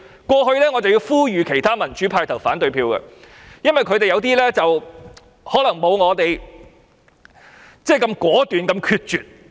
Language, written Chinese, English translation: Cantonese, 我曾呼籲其他民主派議員投反對票，因為他們可能不如我那般果斷及決絕。, I have appealed to some pro - democracy Members to vote against the Budget because they may not be as decisive and resolute as I am